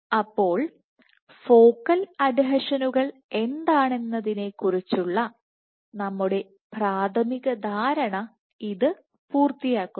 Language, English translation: Malayalam, So, that completes our initial understanding of what focal adhesions are